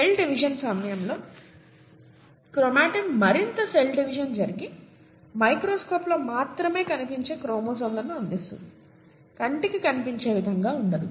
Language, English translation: Telugu, During cell division chromatin condenses further to yield visible chromosomes under of course the microscope, not, not to the naked eye, okay